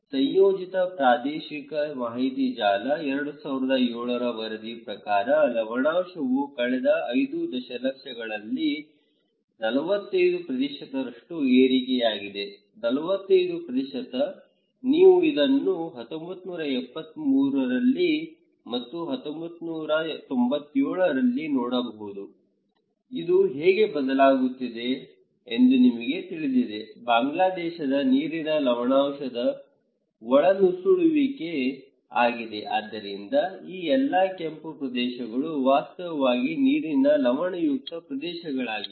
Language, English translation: Kannada, Integrated Regional Information Network, 2007 reporting salinity intrusion has risen by 45% in the last 5 decades, 45%, you can see this one in 1973 and 1997, how this is changing, you know water salinity in Bangladesh, is water salinity intrusion okay, so, these all red areas are actually water saline areas